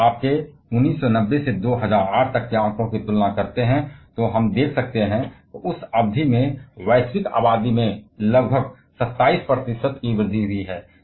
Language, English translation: Hindi, If you compare the figures from 1990 to 2008, we can see the global population has increased by about 27 percent over that period